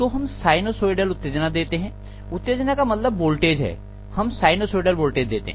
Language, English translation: Hindi, So we are going to give basically a sinusoidal excitation, what we mean by excitation is a voltage, we are going to give a sinusoidal voltage